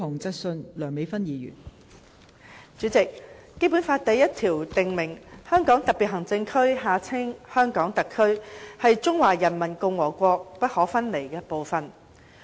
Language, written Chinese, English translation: Cantonese, 代理主席，《基本法》第一條訂明，香港特別行政區是中華人民共和國不可分離的部分。, Deputy President Article 1 of the Basic Law BL stipulates that the Hong Kong Special Administrative Region HKSAR is an inalienable part of the Peoples Republic of China PRC